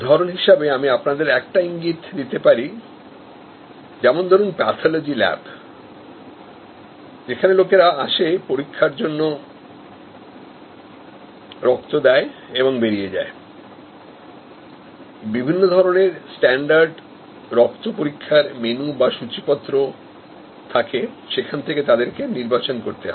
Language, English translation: Bengali, I can give you a hint like for example, pathology lab where people are coming in, giving their blood for testing and exiting, there is a menu of standard blood tests from which they can select